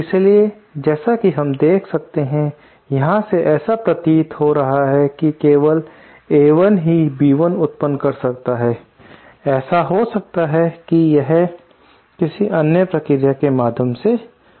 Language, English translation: Hindi, So, as we shall see, this is, from here it might appear as if only A1 can give rise to B1 but that is not the case, it might be that through another process